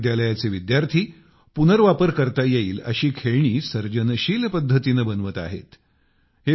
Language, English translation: Marathi, Students of this college are making Reusable Toys, that too in a very creative manner